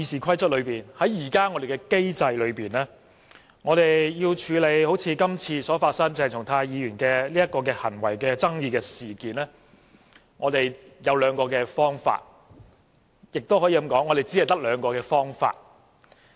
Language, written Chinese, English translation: Cantonese, 根據現行的《議事規則》，我們要處理一如今次鄭松泰議員的行為爭議，有兩個方法，也可以說，只有兩個方法。, According to the existing Rules of Procedure for us to handle a dispute over Dr CHENG Chung - tais behaviour this time there are two methods or there can only be two methods